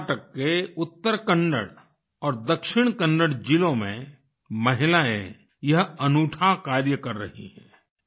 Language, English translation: Hindi, Women in Uttara Kannada and Dakshina Kannada districts of Karnataka are doing this unique work